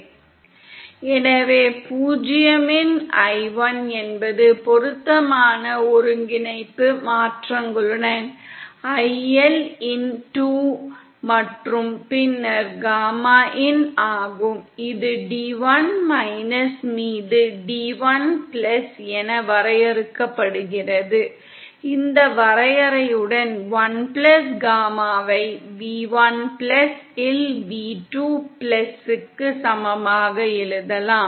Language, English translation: Tamil, So i1 of 0 is i2 of –L with appropriate coordinate transformations & then gamma in, which is defined as d1 upon d1+, that with this definition, we can write 1+ gamma in equal to v2+ upon v1+